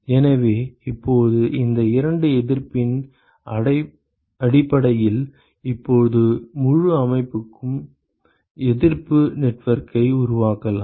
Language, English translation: Tamil, So, now based on these two resistances, we can now construct the resistance network for the whole system ok